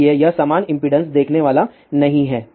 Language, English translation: Hindi, So, it is not going to see uniform impedance